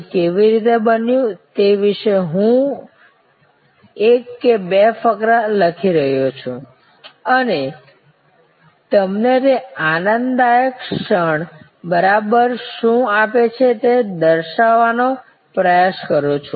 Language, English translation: Gujarati, I am write one or two paragraphs about how it happened and try to characterize what exactly give you that joyful moment